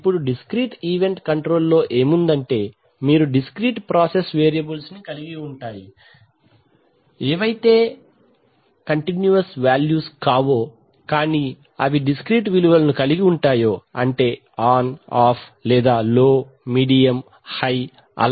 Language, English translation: Telugu, Now in discrete event control what you have is that you have control of discrete valued process variables that is variables which cannot take continuous values, but either they take discrete values like, you know on and off or low, medium, high